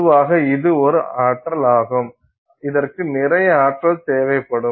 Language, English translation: Tamil, Generally speaking, this is a process that is going to require a lot of energy